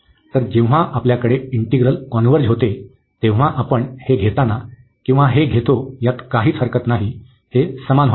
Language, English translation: Marathi, So, in the case when we have convergence integrals, so there is no problem whether you take this one or this one, this will come of the same